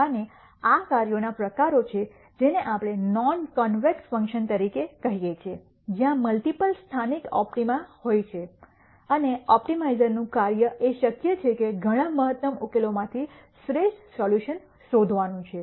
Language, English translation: Gujarati, And these are types of functions which we call as non convex functions where there are multiple local optima and the job of an optimizer is to find out the best solution from the many optimum solutions that are possible